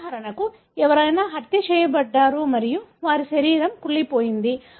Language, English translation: Telugu, For example, somebody is murdered and their body has decomposed